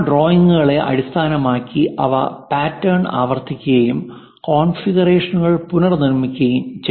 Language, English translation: Malayalam, And based on those drawings, they repeat the pattern and reproduce the configurations